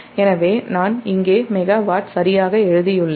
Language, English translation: Tamil, so i have written here megawatt, right